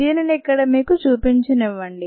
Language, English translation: Telugu, let me show this to you here